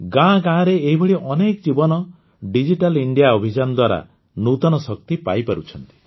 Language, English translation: Odia, How many such lives in villages are getting new strength from the Digital India campaign